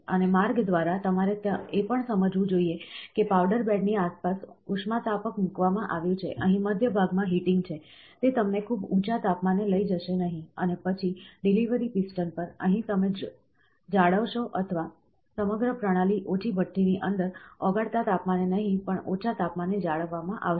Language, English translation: Gujarati, And by the way, you should also understand that is a heater placed around the powder bed, here in the centre portion, there is a heating; it will not take you to a very high temperature and then on the delivery piston, here also you will maintain or the entire system will be maintained at a inside a small furnace at a lower temperature, not melting temperature